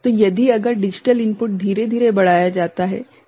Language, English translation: Hindi, So, if it is the digital input is gradually increased ok